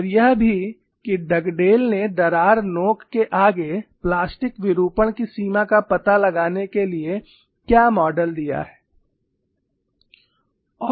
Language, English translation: Hindi, And also what is the model given by ductile in finding out extent of plastic deformation ahead of the crack tip